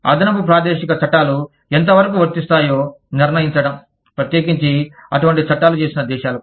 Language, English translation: Telugu, Determining the extent to which, extra territorial laws apply, especially for countries, that have enacted, such laws